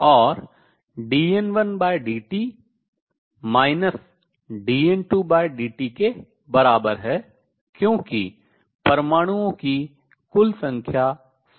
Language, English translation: Hindi, And d N 1 over dt is equal to minus d N 2 by dt, because the total number of atoms remains the same